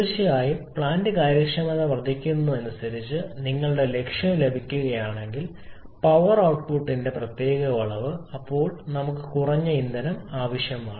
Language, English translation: Malayalam, The of course as the plant efficiency increases then if you are objectives to get a particular amount of power output then we need less amount of fuel efficient resource utilisation